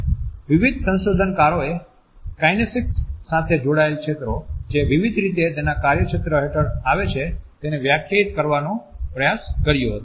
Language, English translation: Gujarati, Various researchers have tried to define the fields associated with kinesics, fields which come under its purview in different ways